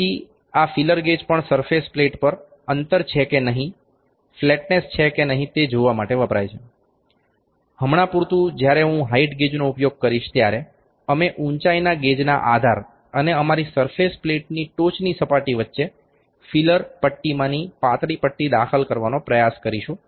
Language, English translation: Gujarati, So, this is a feeler gauge feeler gauge is also be used on the surface plate to see if there is a gap if there is the flatness or not, for instance when I will use the height gauge we will try to insert the thinnest of the feeler leaf between the base of the height gauge and the top surface of our surface plate only